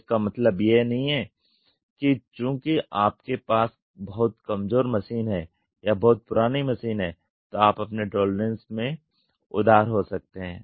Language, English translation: Hindi, So, it does not mean that since you have a very weak machine or a very old machine you can be liberal in your tolerance